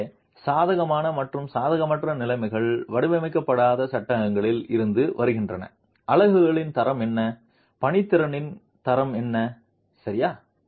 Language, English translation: Tamil, So the favorable and unfavorable conditions come from in non designed frames what is the quality of the units and what is the quality of the workmanship itself